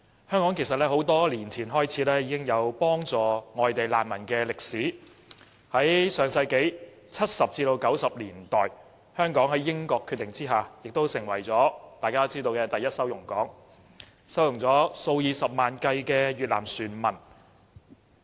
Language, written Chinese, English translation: Cantonese, 香港在多年前已經有幫助外地難民的歷史，在1970年代至1990年代，香港在英國的決定下成為"第一收容港"，收容了數以十萬計的越南船民。, Hong Kong has had a history of helping refugees coming from other places since many years ago . From the 1970s to the 1990s Hong Kong was declared the port of first asylum by the British Government and received hundreds of thousands of Vietnamese boat people